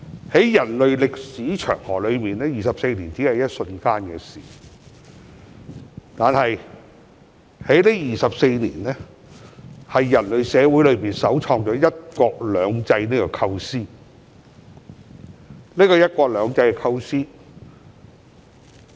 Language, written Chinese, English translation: Cantonese, 在人類歷史長河中 ，24 年只是一瞬間的事，但人類社會首創的"一國兩制"構思在這24年間實踐。, In the long history of mankind 24 years is just like the blink of an eye . However these 24 years has seen the implementation of one country two systems a novel concept in human communities